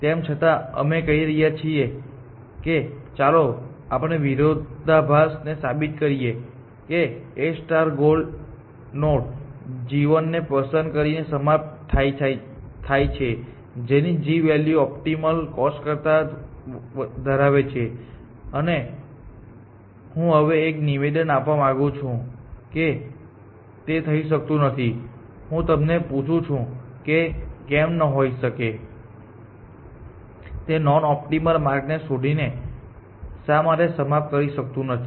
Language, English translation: Gujarati, So, we are saying that let proof a contradiction that a star terminate with a by picking a goal node g 1, whose g value is more than the optimal cost, and now I want to make a statement that this cannot happen let me ask you, why can this happen, why can it not terminate by a finding a non optimal path